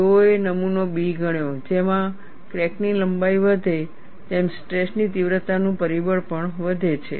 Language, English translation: Gujarati, They considered specimen B, wherein, as the crack length increases, the stress intensity factor also increases